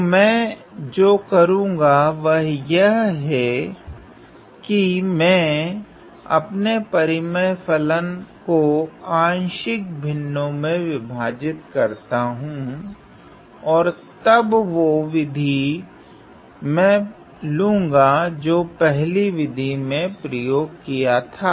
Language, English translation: Hindi, So, what I do is; I divide my rational function into partial fractions and then use the method that I have used in method 1